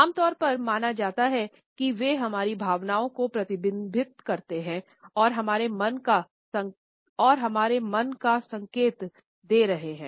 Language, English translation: Hindi, It is generally believed that they reflect our emotions and are an indication of our mind sets